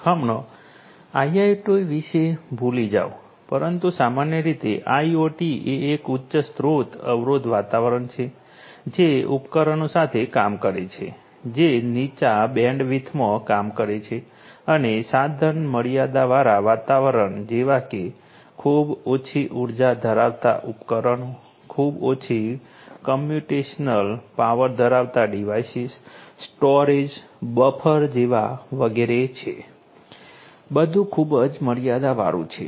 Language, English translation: Gujarati, Forget about IIoT, but IoT in general is a highly resource constrained environment with devices which operate in low bandwidth and in resource constrained environment such as you know devices having very low energy, the devices having very low computational power, the you know every everything like even the storage the buffer etcetera; everything is highly constrained right